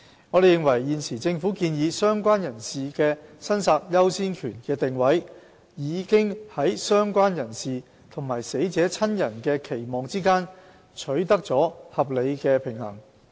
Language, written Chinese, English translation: Cantonese, 我們認為，現時政府建議"相關人士"的申索優先權的定位，已在"相關人士"和死者親人的期望之間取得了合理的平衡。, We believe the priority of claim of related person as proposed by the Government has already struck a balance between the expectations of the related person and family members of the deceased